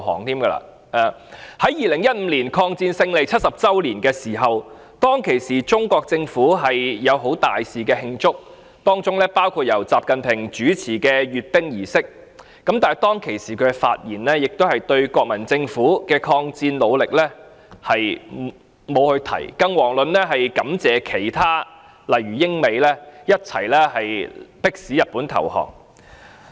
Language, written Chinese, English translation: Cantonese, 在2015年的抗戰勝利70周年時，中國政府大肆慶祝，包括由習近平主持的閱兵儀式，但他當時的發言並沒有提及國民政府的抗戰努力，更遑論感謝一起迫使日本投降的英美等國。, On the 70 Anniversary of Victory in the War of Resistance against Japan in 2015 the Chinese Government held impressive celebrations including the military parade overseen by XI Jinping . However his speech on that day did not mention the efforts made by the Kuomintang in the War of Resistance against Japan let alone the United Kingdom and the United States etc . that forced Japan to surrender